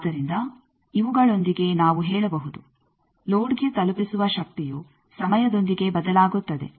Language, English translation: Kannada, So, we can say that with these we can say, power delivered to load will be changing with time